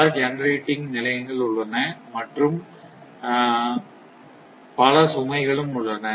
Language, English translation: Tamil, Why are generating stations are there and it is and so much several loads are also there